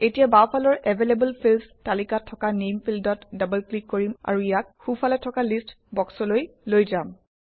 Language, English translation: Assamese, Now, let us double click on the Name field in the Available fields list on the left and move it to the list box on the right